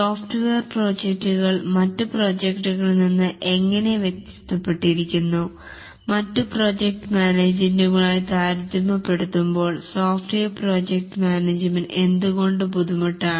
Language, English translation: Malayalam, We have so far looked at what are the projects, how is the software projects differed from other projects, why is software project management difficult compared to other project management